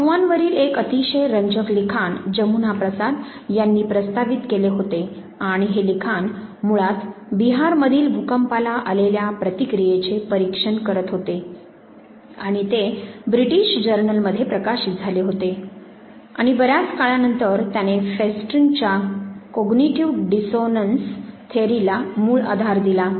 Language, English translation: Marathi, One of the very interesting work on rumors, that was proposed by Jamuna Prasad and this work was basically examining the response to an earthquake in Bihar and this very work was published in the British journal, much later this provided the base for Festinger's cognitive dissonance theory